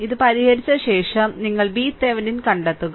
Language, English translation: Malayalam, After after solving this, you find out V Thevenin